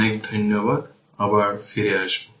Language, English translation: Bengali, Thank you very much we will be back again